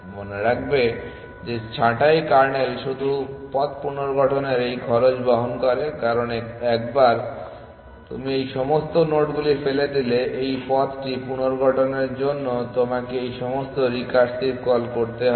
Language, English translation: Bengali, Remember that pruning kernel incurs this cost of reconstructing the path because once you are thrown away all these nodes you have to do all this recursive calls to reconstruct this path